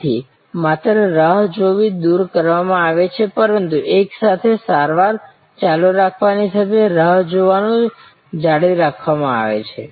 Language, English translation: Gujarati, So, just waiting is removed, but waiting with simultaneous treatment going on is retained